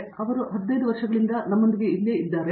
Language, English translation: Kannada, And, he has been with us here for over 15 years now